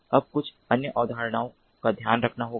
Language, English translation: Hindi, now, few other concepts have to be taken care of